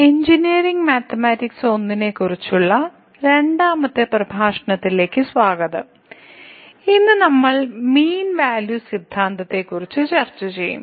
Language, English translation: Malayalam, So, welcome to the second lecture on Engineering Mathematics – I and today, we will discuss Mean Value Theorems